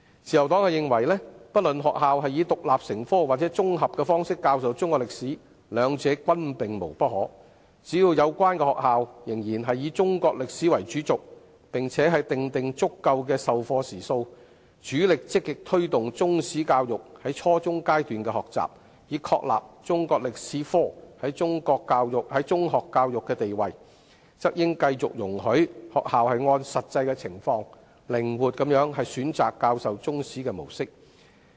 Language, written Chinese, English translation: Cantonese, 自由黨認為，不論學校以獨立科目或綜合的方式教授中史，兩者均可，只要有關的學校仍然以中史為主軸，並且訂定足夠的授課時數，積極推動中史教育在初中階段的學習，以確立中科在中學教育的地位，則當局應繼續容許學校按實際的情況，靈活地選擇教授中史的模式。, The Liberal Party considers it acceptable for schools to either teach Chinese history either as an independent subject or combined subject . So long as schools still regard the teaching of Chinese history as the main axis and provide adequate teaching hours to proactively promote the teaching of Chinese history at junior secondary level with a view to prescribing the status of Chinese history in secondary education the authorities should continue to allow schools to flexibly choose their own mode of teaching Chinese History according to the actual situation